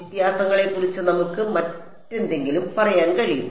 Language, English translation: Malayalam, Any what else can we say about the differences